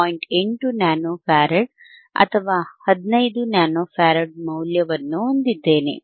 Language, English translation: Kannada, 8 nano farad or 15 nano farad